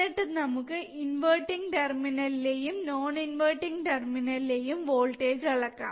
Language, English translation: Malayalam, Then we have to now measure the voltage at the inverting terminal, and then we have to measure the voltage at the non inverting terminal, alright